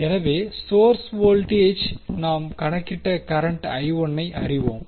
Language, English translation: Tamil, So, source voltage we know current I1 we have calculated